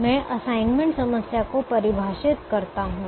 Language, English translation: Hindi, let me define the assignment problem now